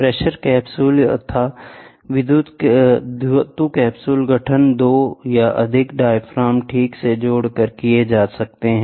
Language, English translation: Hindi, The pressure capsule or the metal capsule can be formed by joining two or more diaphragms, ok